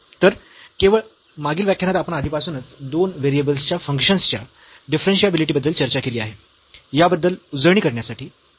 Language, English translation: Marathi, So, just to recall from the previous lecture we have discussed already the differentiability of functions of two variables